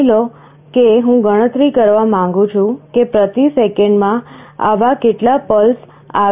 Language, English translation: Gujarati, Suppose, I want to count, how many such pulses are coming per second